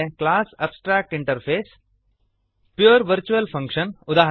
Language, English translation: Kannada, class abstractinterface Pure virtual function eg